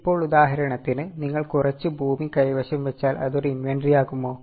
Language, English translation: Malayalam, Now, for example, if you are holding some land, will it be an inventory